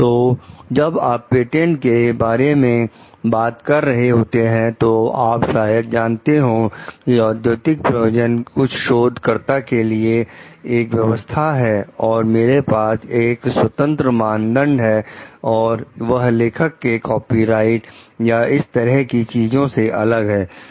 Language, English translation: Hindi, So, when you are talking of patent, the which is maybe an you know like the arrangement between the industry sponsoring some research work and so, that I have an independent criteria; rather than crediting the authors further for the copyrights or all